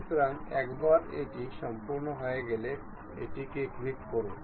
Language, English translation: Bengali, So, once it is done, click ok